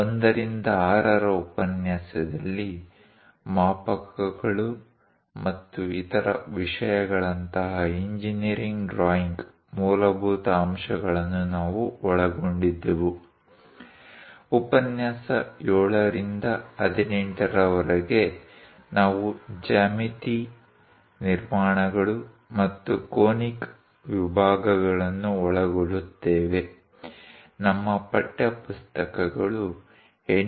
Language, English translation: Kannada, In the lecture 1 to 6, we have covered the basics of engineering drawing like scales and other things, from lecture 7 to 18; we will cover geometry constructions and conic sections; our textbooks are by N